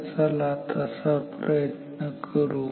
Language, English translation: Marathi, So, let us try that